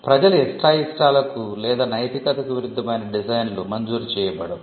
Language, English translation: Telugu, Designs that are contrary to public order or morality will not be granted